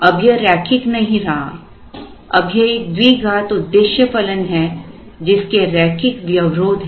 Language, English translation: Hindi, It is not linear anymore now there is a quadratic objective function subject to a set of linear constraints